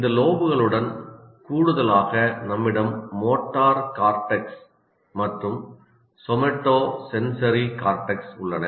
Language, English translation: Tamil, In addition to this, you have two motor cortex and somatosensory cortex